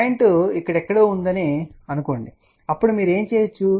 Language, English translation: Telugu, Suppose the point was somewhere here then what you can do